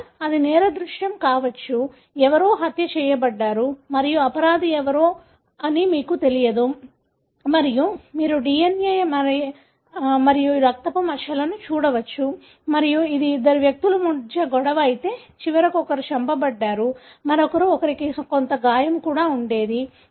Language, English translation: Telugu, Or it could be crime scene; somebody is murdered and you don’t know who is the culprit, who did that and you can look into the DNA, the blood spots that are there and if this was a fight between two individuals, at the end one was killed, the other one would also have had some injury and so on